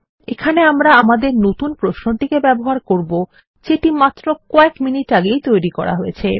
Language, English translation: Bengali, Here we will call our new query which we designed a few minutes ago